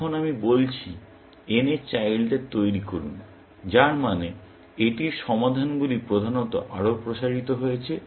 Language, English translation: Bengali, Now, I am saying; generate the children of n, which means, it has further solutions expanded, essentially